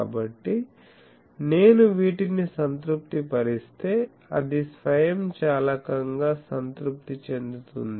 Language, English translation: Telugu, So, if I satisfy these this gets automatically satisfied ok